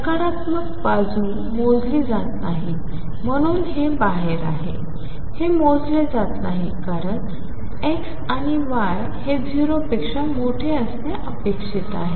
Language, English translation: Marathi, The negative side is not counted, so this is out; this is not counted because x and y are supposed to be greater than 0